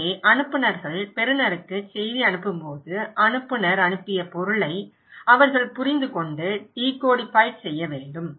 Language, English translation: Tamil, So, when senders are sending message to the receiver, they should able to understand and decodify the meaning that sender sent okay